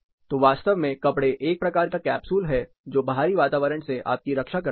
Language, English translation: Hindi, So, actually the clothing is one kind of capsule that protects you from the outdoor environment